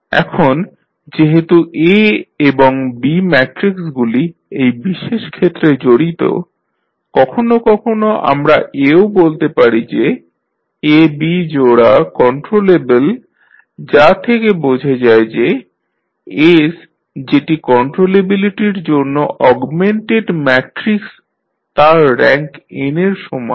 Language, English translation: Bengali, Now, since the matrices A and B are involved in this particular case, sometimes we also say that pair AB is controllable which implies that the S that is augmented matrix for controllability has the rank equal to n